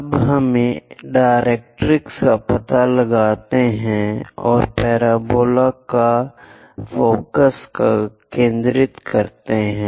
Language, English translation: Hindi, Now let us find out directrix and focus to your parabola